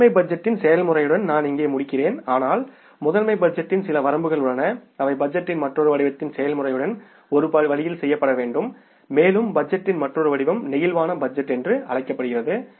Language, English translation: Tamil, I will stop here with the process of master budget but there are certain limitations of the master budget which have to be done away with the process of the another form of the budgeting and that another form of the budgeting is called as the flexible budget